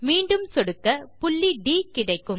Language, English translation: Tamil, Then click again we get point D